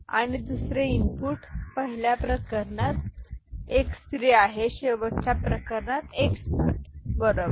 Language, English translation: Marathi, And the other input is x 3 in the first case to x naught in the last case right